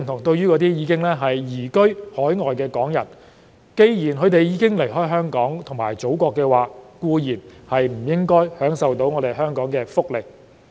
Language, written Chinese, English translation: Cantonese, 對於已經移居海外的港人，既然他們已經離開香港及祖國，固然不應享受香港的福利。, Since Hong Kong people who are residing overseas have already left Hong Kong and the Motherland they should certainly not enjoy any welfare benefits provided by Hong Kong